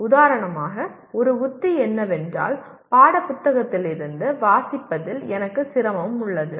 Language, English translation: Tamil, For example one strategy is I am having difficulty in reading from the textbook